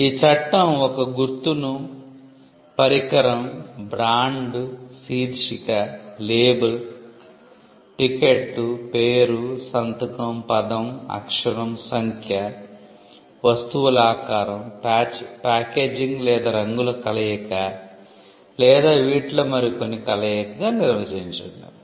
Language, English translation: Telugu, The act defines a mark as a device, brand, heading, label, ticket, name, signature, word, letter, numeral, shape of goods, packaging or combination of colours or any combination thereof